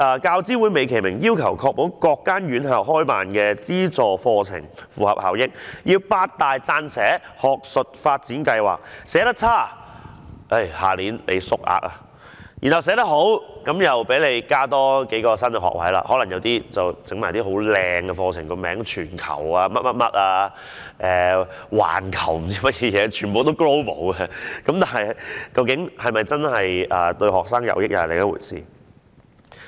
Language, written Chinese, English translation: Cantonese, 教資會美其名要確保各間院校開辦的資助課程符合效益，要求八大撰寫學術發展計劃，寫得差的話，下一年度便會縮減名額；如果寫得好，便可讓院校多加數個新學位，例如可能開辦一些冠以"全球"或"環球"等漂亮字眼的課程名稱，但究竟對學生是否真的得益則是另一回事。, UGC uses a beautiful pretext that the subsidized courses of every institution should be cost - effective thus the eight universities have to draw up proposals for academic development . Those who have submitted a lousy proposal will have their places cut in next year and those which are considered to have submitted good proposals may add a few new places so that they can open courses with a beautiful title starting with the words such as Global or Worldwide but whether they will benefit students is another story